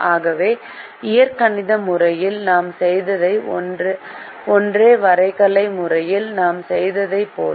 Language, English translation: Tamil, therefore, what we did in the algebraic method is the same as what we did in the graphical method